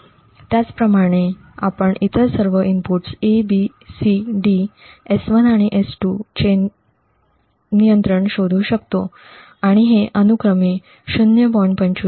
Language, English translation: Marathi, Similarly, we can actually find the control of all other inputs B, C, D, S1 and S2 and these happen to be 0